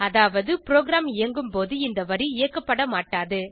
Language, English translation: Tamil, This means, this line will not be executed while running the program